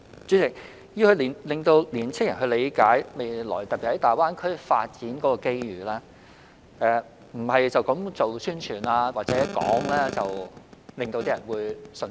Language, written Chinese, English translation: Cantonese, 主席，要令青年人理解未來，特別是在大灣區發展的機遇，不是單單宣傳或討論便能令他們信服。, President in order to make young people understand their future particularly the development opportunities in GBA promotion or discussion alone cannot convinced them